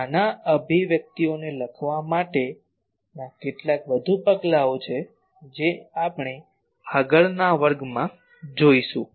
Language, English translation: Gujarati, So, some more steps are there to actual writing the expressions of this that we will take in the next class